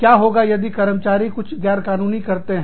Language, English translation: Hindi, What happens, if an employee does, something illegal